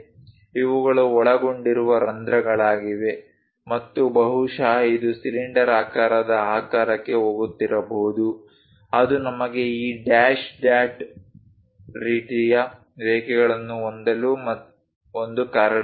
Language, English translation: Kannada, These are holes involved and perhaps it might be going into cylindrical shape that is a reason we have this dash dot kind of lines